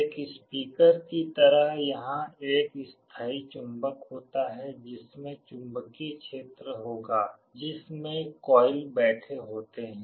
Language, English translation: Hindi, Just like a speaker there is a permanent magnet there will be magnetic field in which the coil is sitting